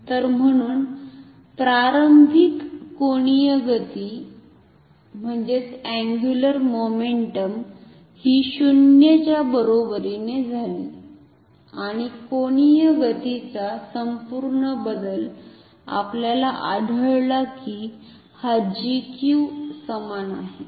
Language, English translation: Marathi, So, therefore, the initial angular momentum was equal to 0 and the total change of angular momentum we have found that this is equal to G Q ok